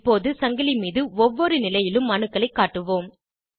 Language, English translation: Tamil, Lets now display atoms at each position on the chain